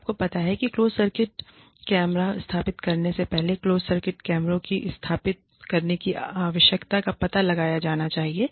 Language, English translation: Hindi, So, you know, the necessity of installing closed circuit cameras, should be ascertained before, installing closed circuit cameras